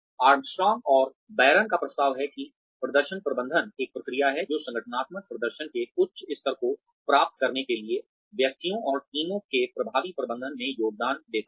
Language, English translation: Hindi, Armstrong and Baron propose that, performance management is a process, which contributes to the effective management of individuals and teams, in order to achieve, high levels of organizational performance